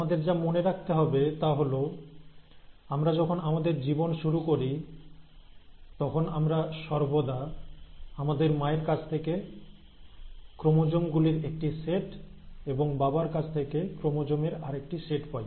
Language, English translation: Bengali, Now, what we have to remember is that when we start our life, we always get a set of chromosomes from our mother, and a set of chromosomes from our father